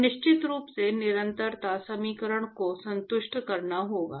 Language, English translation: Hindi, And of course, Continuity equation has to be satisfied